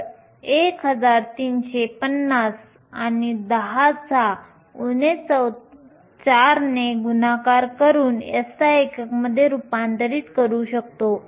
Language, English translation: Marathi, So, 1350 and multiply by 10 to the minus 4, convert to SI units